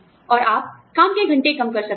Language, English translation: Hindi, And, you could, maybe, reduce work hours